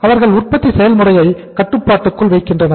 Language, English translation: Tamil, They control the production process